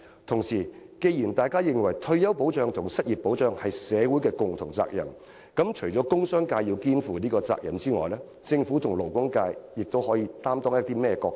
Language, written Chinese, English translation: Cantonese, 同時，既然大家認為退休保障和失業保障是社會各界的共同責任，除了商界要肩負這責任外，政府和勞工界又可以擔當甚麼角色？, Besides since it is considered that retirement and unemployment protections are the collective responsibility of every sector in society apart from the business sector what role will the Government and the labour sector play?